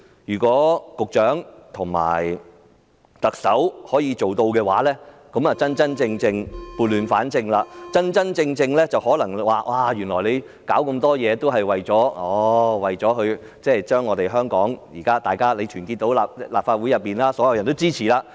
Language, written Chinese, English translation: Cantonese, 如果局長和特首可以做到這些事，便確實能夠撥亂反正，告訴大家他們所做的一切也是為了團結香港，得到立法會內所有議員的支持。, If the Secretary and the Chief Executive can do these things they will indeed be able to set things right and tell us that everything they do is for uniting Hong Kong thus gaining the support of all Members of the Legislative Council